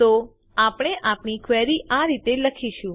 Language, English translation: Gujarati, And so we will write our query as